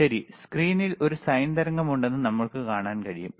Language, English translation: Malayalam, Right now, we can see on the screen there is a sine wave